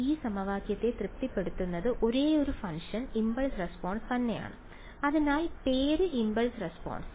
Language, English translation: Malayalam, The only function that will satisfy this equation is the impulse response itself and hence the name in impulse response ok